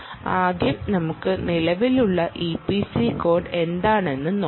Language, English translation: Malayalam, let us first look at what is the existing e p c code